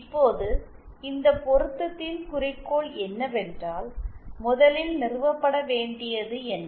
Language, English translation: Tamil, Now, what is the goal of this matching that is the first thing that has to be established